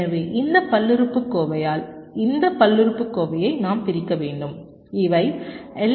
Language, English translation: Tamil, so we have to divide this polynomial by this polynomial and these are the outputs of the l f s r